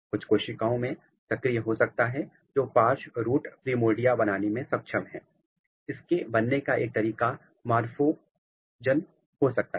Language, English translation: Hindi, It might be activating in some of the cells which is competent of giving lateral root primordia; so, one mechanism which is through morphogen